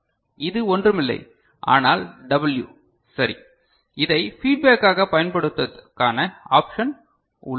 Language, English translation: Tamil, This is nothing, but W right and we have an option of using this as a feedback, right